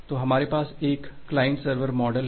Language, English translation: Hindi, So, we have in a we are in a client server model